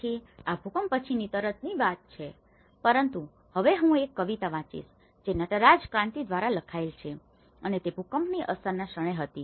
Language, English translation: Gujarati, So, this is the story of immediately after the earthquake but now I will just read out a poem which has been written by Natraj Kranthi and it was at the moment of the earthquake impacts